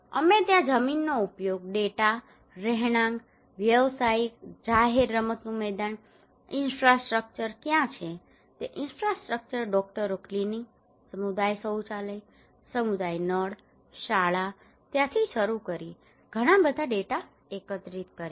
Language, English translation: Gujarati, We collected a lot of data there starting from land use data, residential, commercial, public, playground, infrastructure what are the infrastructures are there, Doctors clinic, community toilet, community taps, school